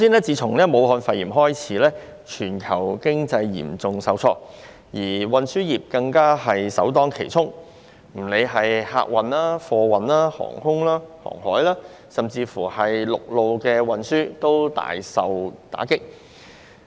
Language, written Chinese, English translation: Cantonese, 自武漢肺炎爆發至今，全球經濟嚴重受創，而運輸業更首當其衝，不論是客運、貨運、空運、海運，以致陸路運輸均大受打擊。, The Wuhan pneumonia has dealt a severe blow to the global economy since its outbreak with the transportation industry being hit the hardest . Passenger transport freight transport air transport sea transport and even land transport have all sustained a massive blow